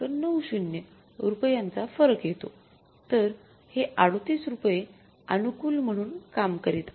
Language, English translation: Marathi, So, this is working out as rupees 38 favorable